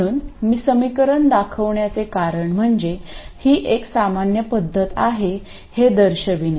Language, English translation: Marathi, So the reason I showed the equations is to show that it is a general method